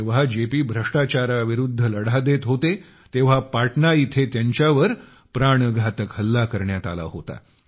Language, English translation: Marathi, When JP was fighting the crusade against corruption, a potentially fatal attack was carried out on him in Patna